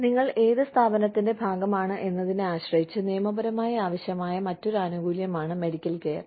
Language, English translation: Malayalam, And, medical care is another legally required benefit, depending on which organization, you are a part of